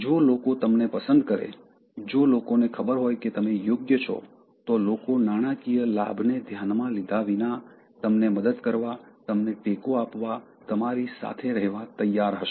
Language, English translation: Gujarati, If people like you, if people know that you are genuine, people will be willing to help you, support you, be with you irrespective of the money part that is involved in it